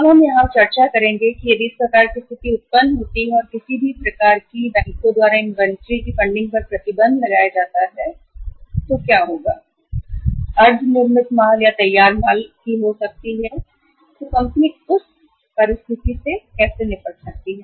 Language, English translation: Hindi, So now we will discuss here that if this kind of the situation arises and any kind of the restrictions are imposed by the banks on funding of the inventory maybe of the raw material, maybe of the WIP, or maybe of the finished goods then how the company can deal with that situation